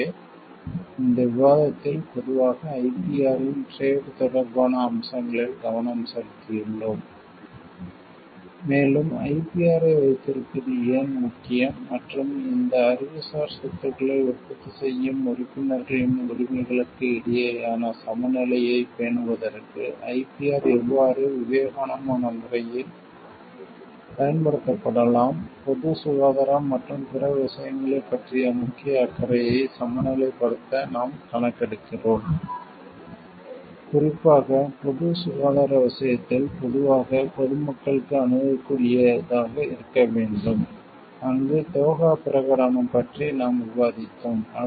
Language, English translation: Tamil, So, in this discussion, we have focused on the trade related aspects of the IPR in general and why it is important to have a IPR and how IPR can be used in a prudent way to keep a balance between the rights of the members who are the producers of these intellectual properties also, we survey to balance the major concern of regarding public health and other things where it needs to be like open accessible to the public at large specifically in case of public health where we have discussed about the Doha Declaration